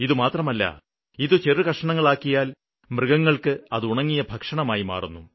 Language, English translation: Malayalam, Not only this, if they are chopped into small bits, they can act as a dry fruit for cattle